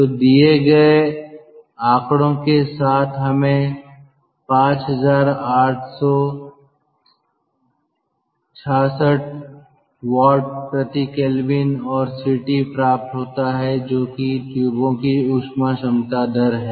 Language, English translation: Hindi, so with the figures given, we get five, eight, six, six watt per kelvin and ct, capital, ct, that is the heat capacity rate of the tubes